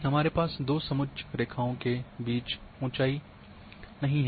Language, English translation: Hindi, We do not have any height of information between two contour lines